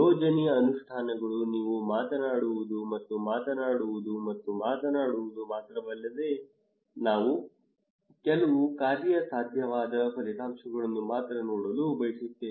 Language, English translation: Kannada, Plan implementations; not only that you were talking and talking and talking but we want only see some feasible outcome